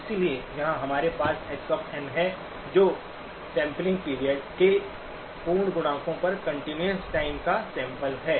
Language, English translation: Hindi, So here we have x of n which is the continuous time sampled at integer multiples of the sampling period